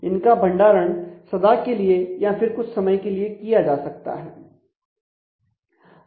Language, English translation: Hindi, So, they can be stored permanently or for a limited period of time